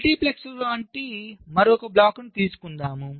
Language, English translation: Telugu, lets say, lets take another block like a multiplexor